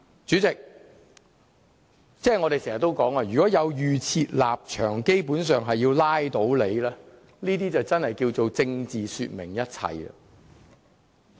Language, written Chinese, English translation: Cantonese, 主席，我們經常說，如持有預設立場，基本上是要拉倒某個項目，這樣就真的叫作"政治說明一切"。, President as we always say when Members have a preconceived stance of voting down a certain motion they will give a perfect demonstration of politics superseding everything